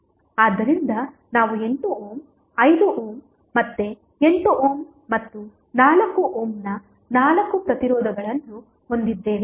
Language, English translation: Kannada, So, we have four resistances of 8 ohm, 5 ohm again 8 ohm and 4 ohm